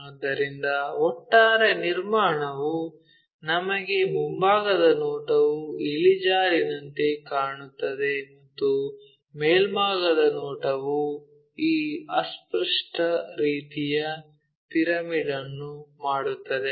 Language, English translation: Kannada, So, the overall construction gives us the front view looks like an inclined one and the top view makes this obscured kind of pyramid